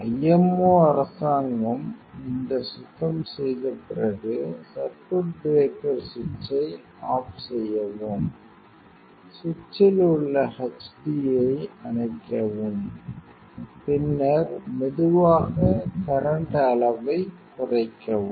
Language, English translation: Tamil, After the IMO government this cleaning is over, then switch off the circuit breaker switch off the h d on the switch, then slowly decrease the current level